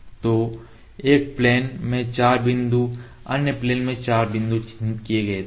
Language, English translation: Hindi, So, the 4 points in one plane 4 point in other plane were marked